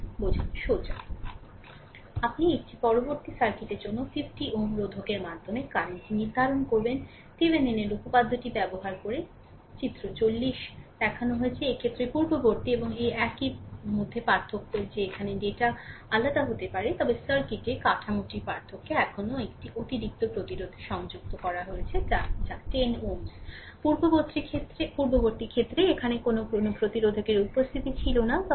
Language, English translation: Bengali, So, next is you determine the current through 50 ohm resistor of the circuit, shown in figure 40 using Thevenin’s theorem, in this case difference between the previous one and this one that here data may be different, but structure of the circuit in difference that one extra resistance is connected here that is 10 ohm right